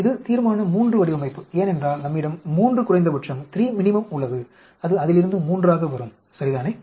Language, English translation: Tamil, This is the Resolution III design because we have 3 minimum comes out to be 3 of that, ok